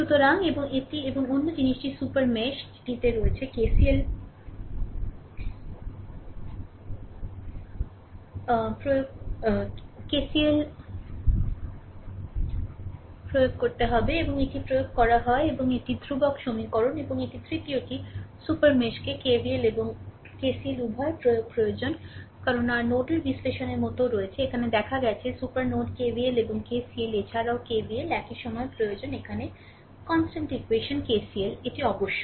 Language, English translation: Bengali, So, and that and another thing is in the super mesh you have to apply KCL and that is applied and this is the constant equation right, let me clear it and the third one is super mesh require the application of both KVL and KCL because like your nodal analysis also we have seen super node KVL and KCL here also KVL is required at the same time the constant equation here is KCL, right that is must, right